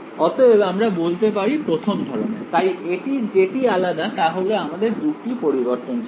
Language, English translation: Bengali, So, we can say 1st kind , but what is different about it is that, I have 2 variables